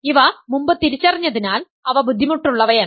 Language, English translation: Malayalam, So, these are once you identify them they are not difficult